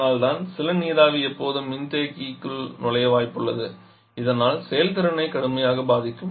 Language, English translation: Tamil, And that is why some water vapour is always likely to enter the condenser thereby severely affecting